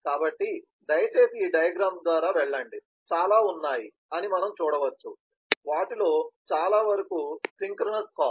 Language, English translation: Telugu, please go through this diagram, we can see there are several of them are actually synchronous calls